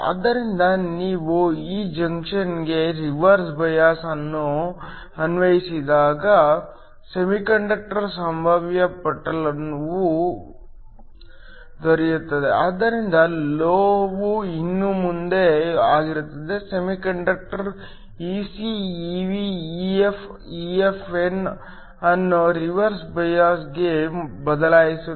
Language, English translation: Kannada, So, When we apply a reverse bias to this junction a semiconductor potential shifts, so the metal is still the same, semiconductor shifts Ec, Ev, EF, EFn for reverse bias